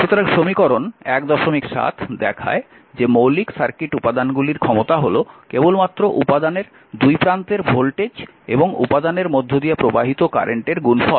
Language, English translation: Bengali, 7 shows the power associated with basic circuit elements is simply the product of the current in the element and the voltage across the element